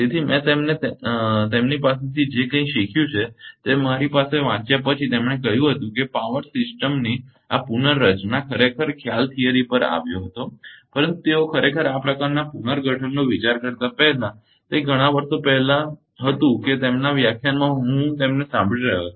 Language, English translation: Gujarati, So, whatever whatever I have learned from him I have I after reading he said this restructuring in power system actually concept came to that fast right actually they were thinking this kind of restructuring ah that was many years back that in his lecture I was listening to him when he was giving lecture in our department few years back